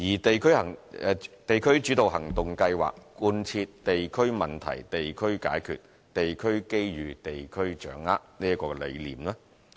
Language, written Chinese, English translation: Cantonese, "地區主導行動計劃"貫徹"地區問題地區解決，地區機遇地區掌握"的理念。, The District - led Actions Scheme fully adheres to the concept of addressing district issues at the local level and capitalising on local opportunities